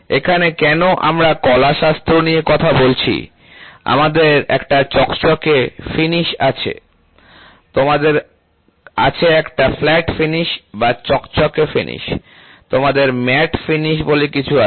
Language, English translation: Bengali, So, aesthetic, so why are we talking about aesthetic is, we have a glossy finish, you have a flat finish or a glossy finish, you also have something called as a matte finish